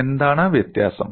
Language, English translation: Malayalam, And what is the difference